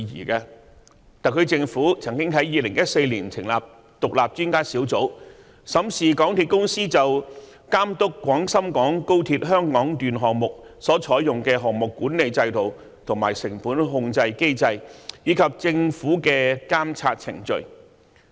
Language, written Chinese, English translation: Cantonese, 特區政府曾經在2014年成立獨立專家小組，審視港鐵公司就監督廣深港高速鐵路項目所採用的項目管理制度、成本控制機制，以及政府的監測程序。, In 2014 the Government established an Independent Expert Panel to examine the project management systems and cost control mechanisms of MTRCL in overseeing the project of the Hong Kong Section of the Guangzhou - Shenzhen - Hong Kong Express Rail Link and the monitoring processes of the Government